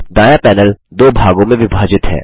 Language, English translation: Hindi, The right panel is divided into two halves